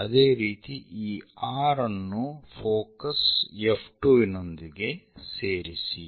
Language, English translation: Kannada, Similarly, join this R with focus F 2